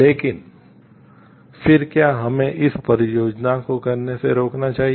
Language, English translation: Hindi, But then should we stop it stop doing the project